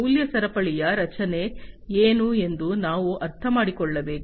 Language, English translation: Kannada, Then we should understand the what is the structure of the value chain